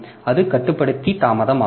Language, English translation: Tamil, So, that is the controller delay